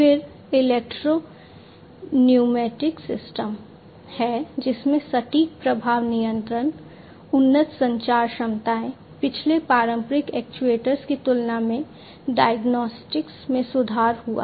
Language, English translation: Hindi, Then there are the electro pneumatic systems, which have precise flow control, advanced communication capabilities, improved diagnostics than the previous traditional actuators